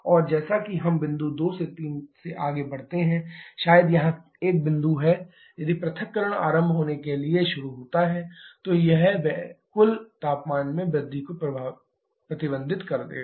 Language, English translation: Hindi, And as we move from point 2 3 maybe a point somewhere here, if the disassociation starts to get initiated that will restrict the total temperature rise